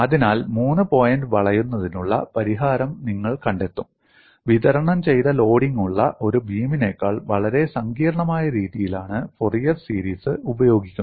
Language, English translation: Malayalam, So, you will find solution to three point bending is done in a much more complex fashion using Fourier series than a beam with a distributed loading